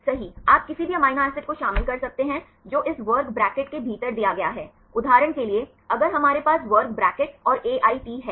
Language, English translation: Hindi, Right you can include any amino acids which are given within this square bracket right for example, if we have square bracket and AIT